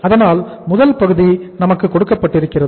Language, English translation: Tamil, So it means first part is given to us